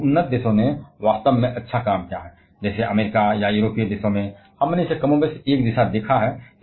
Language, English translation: Hindi, For as the advanced countries has done really good job; like, in USA or in European countries, we have seen it to be more or less the same